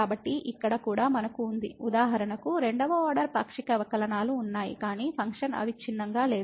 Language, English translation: Telugu, So, here also we have for example, this result that the second order partial derivatives exists, but the function is not continuous